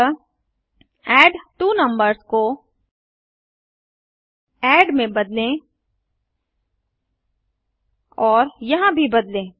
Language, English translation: Hindi, So replace addTwoNumbers with add also change here